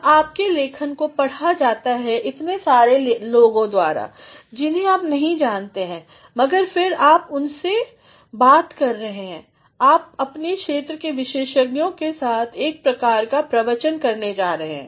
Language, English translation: Hindi, Now, your writing is read by so many people you do not know, but then you are going to interact with them, you are going to have a sort of discourse with experts in your area, in your field